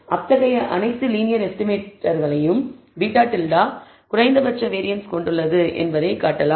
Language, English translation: Tamil, Among all such linear estimators we can show that beta hat has the least variance